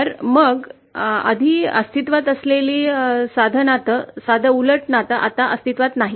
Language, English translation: Marathi, So then the simple relationship, simple inverse relationship that exists before doesnÕt exist anymore